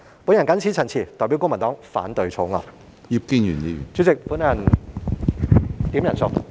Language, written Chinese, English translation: Cantonese, 我謹此陳辭，代表公民黨反對《條例草案》。, With these remarks I oppose the Bill on behalf of the Civic Party